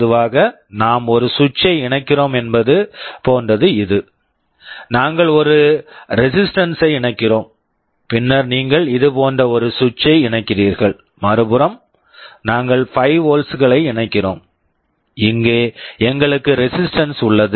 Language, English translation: Tamil, Typically we connect a switch is like this; we connect a resistance, then you connect a switch like this, on the other side we connect 5 volts and here we have resistance